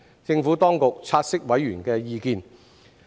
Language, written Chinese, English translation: Cantonese, 政府當局察悉委員的意見。, The Administration has noted members views